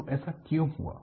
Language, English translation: Hindi, So, why this has happened